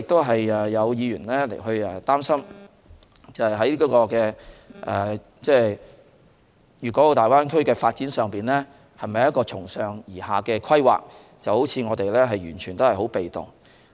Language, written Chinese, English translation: Cantonese, 此外，有議員擔心粵港澳大灣區的發展是否一個從上而下的規劃？是否我們完全被動？, Besides some Members are worried that the Greater Bay Area development will be a top - down planning exercise and that we will be totally passive